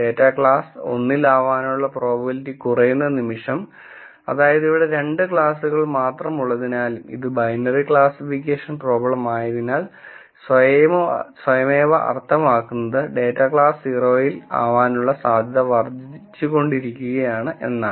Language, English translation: Malayalam, The moment that the probability that the data belongs to class 1 keeps decreasing, that automatically means since there are only 2 classes and this is the binary classification problem, the probability that the data belongs to class 0 keeps increasing